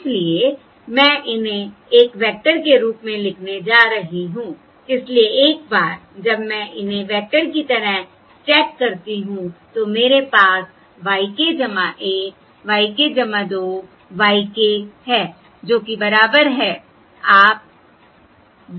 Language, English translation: Hindi, so once I stack these as a vector, I have y k plus 1 y k plus 2 y k, which is equal to